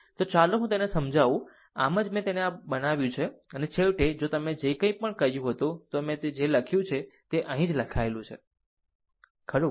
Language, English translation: Gujarati, So, let me clean it , right that is why I have make it like this and finally, finally, if you the way I told whatever, I wrote same thing is written here same thing is written here, right